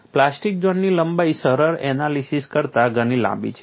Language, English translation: Gujarati, The plastic zone length is much longer than the simplistic analysis